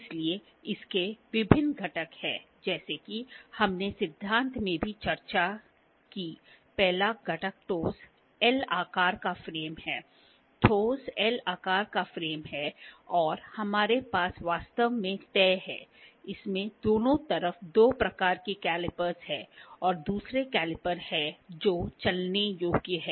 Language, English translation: Hindi, So, it has various components as we have discussed in the theory as well, the first component is the solid L shaped frame, the solid L shaped frame and we have which is actually fixed, it has two type calipers on the both sides and another is caliper that is moveable